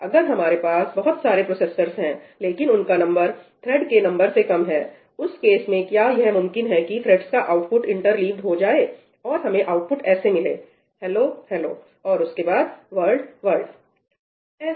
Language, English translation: Hindi, If we have number of processors which is less than the number of threads, in that case, is it possible that the outputs of the threads are interleaved – we get output as ‘hello hello ‘ and then ‘world world’